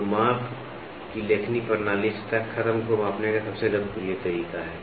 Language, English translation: Hindi, So, stylus system of measurement is the most popular method of measuring surface finish